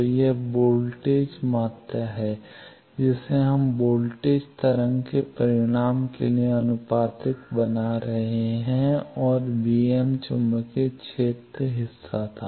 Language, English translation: Hindi, So, this is a voltage side quantity that we are making proportional to m plus the magnitude of the voltage wave and b m plus was the magnetic field part